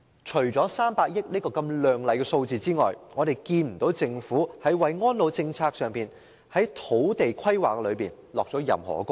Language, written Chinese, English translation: Cantonese, 除300億元這個亮麗的數字外，政府沒有在安老政策及土地規劃上下任何工夫。, Except putting forth this glamorous figure of 30 billion the Government has not done anything when it comes to the elderly care policy and land planning